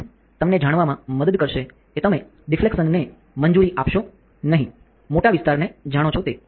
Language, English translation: Gujarati, So, lens will help toyou know not allow the deflection to be you know larger area